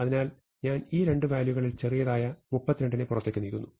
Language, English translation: Malayalam, So, now, I compare the smaller of the 2 as 32 and move it out